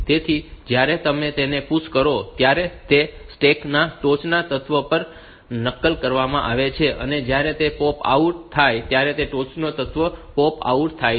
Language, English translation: Gujarati, So, it is pushed it is copied on the topmost element in the stack and when it is popped out the topmost element is popped out